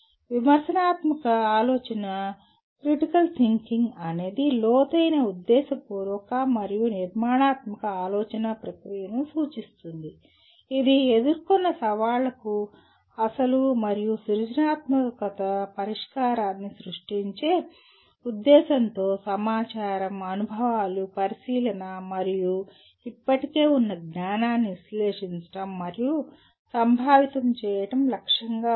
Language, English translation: Telugu, Critical thinking refers to the deep intentional and structured thinking process that is aimed at analyzing and conceptualizing information, experiences, observation, and existing knowledge for the purpose of creating original and creative solution for the challenges encountered